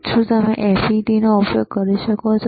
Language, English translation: Gujarati, cCan you use FFT